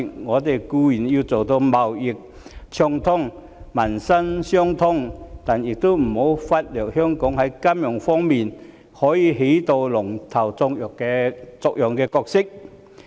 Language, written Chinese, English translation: Cantonese, 我們固然要達到貿易暢通和民心相通，但也不要忽略香港在金融方面可以起龍頭作用的角色。, While we certainly should work to achieve unimpeded trade and people - to - people bond we must not lose sight of the fact that Hong Kong can play a leading role in respect of financial services